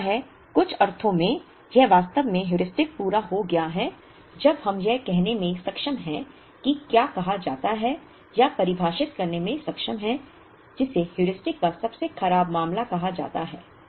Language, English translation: Hindi, May be, in some sense it is also in fact the Heuristic is complete when we are able to say what is called or able to define what is called the worst case performance of the Heuristic